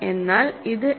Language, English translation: Malayalam, But what is this